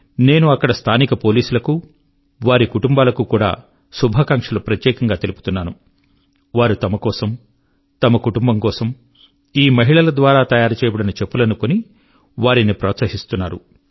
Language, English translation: Telugu, I especially congratulate the local police and their families, who encouraged these women entrepreneurs by purchasing slippers for themselves and their families made by these women